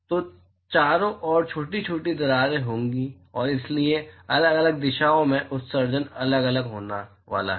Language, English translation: Hindi, So, there will be small crevices around and therefore, the emission in different direction is going to be different